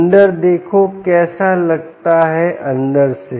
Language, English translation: Hindi, look inside, how does it look inside